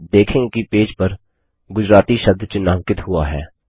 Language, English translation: Hindi, You will observe that the word Gujarati on the page gets highlighted